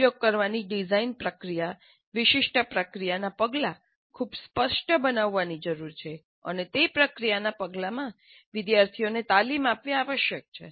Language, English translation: Gujarati, And the design process to be used, the specific process steps need to be made very clear and students must be trained in those process steps